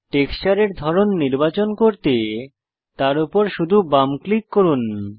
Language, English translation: Bengali, To select any texture type just left click on it